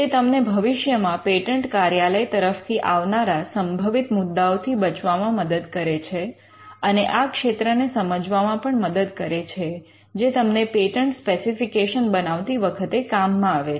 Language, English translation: Gujarati, It helps you to avoid potential office objections which can come in the future, and also it helps you to understand the field which helps you to prepare the patent specification